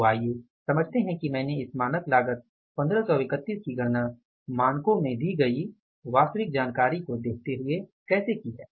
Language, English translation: Hindi, So let us understand how I have calculated this 1531 as the standard cost looking at the actual information and upscaling the standards